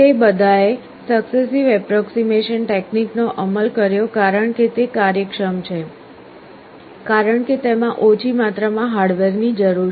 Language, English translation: Gujarati, They all implemented successive approximation technique because it is efficient, because it requires less amount of hardware